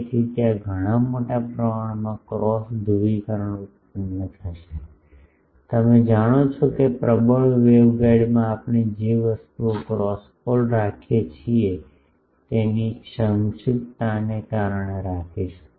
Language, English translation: Gujarati, So, there will be sizable amount of cross polarization generated, you know this that in a dominant waveguide we keep the because of the narrowness of the things we keep the cross pole lobe